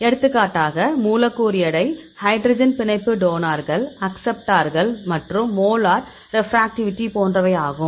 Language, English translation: Tamil, For example, molecular weight, hydrogen bond donors, acceptors and the molar refractivity